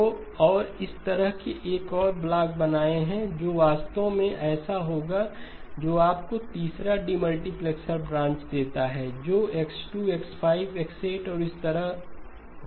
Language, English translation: Hindi, So and likewise just draw one more block that will actually be the one that gives you the third demultiplexer branch that would be X2, X5, X8 and so on